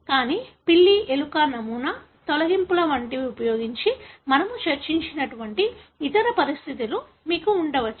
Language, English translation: Telugu, But, you could have other conditions like we discussed using cat, rat model, like deletions